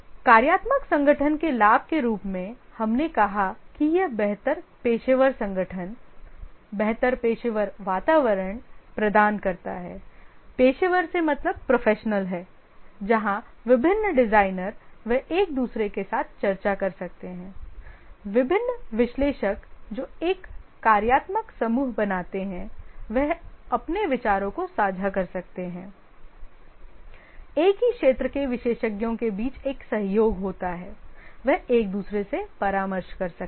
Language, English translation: Hindi, The advantage of the functional organization, as we said, that it provides better professional organization, better professional environment where the different designers they can discuss with each other, the different analysts who form a functional group can share their ideas